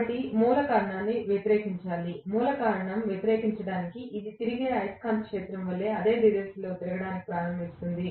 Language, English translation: Telugu, So the root cause has to be oppose, for opposing the root cause, it starts rotating in the same direction as that of the revolving magnetic field